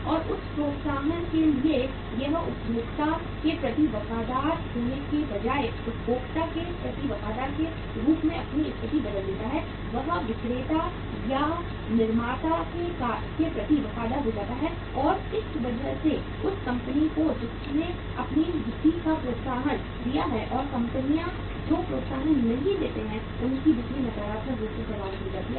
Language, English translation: Hindi, And for that incentive he changes his position as a say loyal to the consumer rather than being loyal to the consumer he becomes loyal to the seller or to the manufacturer and because of that the company who has given the incentive their sales pick up and the companies who do not give the incentives their sales are getting affected negatively